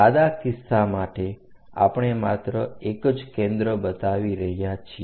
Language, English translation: Gujarati, For simple case, we are just showing only one of the foci